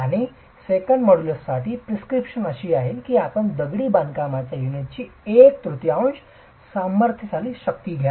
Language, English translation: Marathi, And for the second modulus, the prescription is that you take one third of the compressive strength of the masonry unit